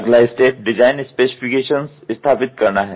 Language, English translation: Hindi, Next is establishing design specifications